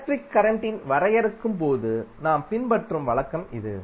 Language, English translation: Tamil, So, that is the convention we follow when we define the electric current